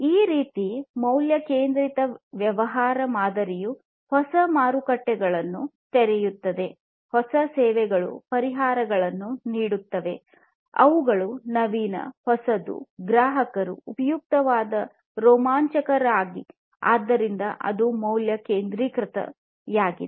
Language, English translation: Kannada, This kind of value centric business model will open up new markets, new services will give solutions, which are innovative, which are new, which we are not there before customers find it useful exciting, and so on; so that is the value centricity